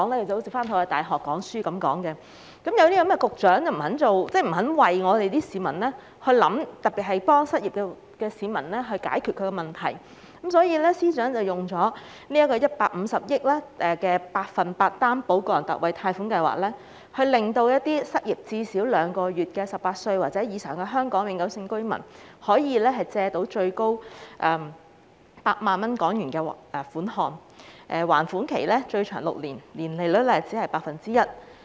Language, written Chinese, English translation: Cantonese, 正因為局長不肯為市民設想，協助失業市民解決問題，所以司長才推出150億元的百分百擔保個人特惠貸款計劃，讓失業至少兩個月的18歲或以上香港永久性居民可以借到最高8萬港元的款項，而且還款期最長6年，年利率僅 1%。, Precisely because of the Secretarys reluctance to think for the interests of the public and assist the unemployed in solving their problems the Financial Secretary FS has launched the 100 % Personal Loan Guarantee Scheme PLGS costing 15 billion . Under PLGS Hong Kong permanent residents aged 18 or above who have been unemployed for at least two months can borrow up to HK80,000 with a maximum repayment period of six years at an interest rate of only 1 % per annum